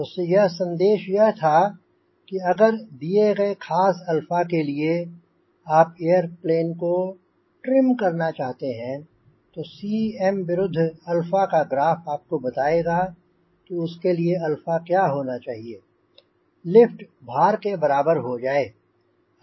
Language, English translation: Hindi, so message was: if you really want to trim an airplane for a particular alpha, cm versus alpha graph will tell you how much alpha is required to trim the airplane such that lift is equal to weight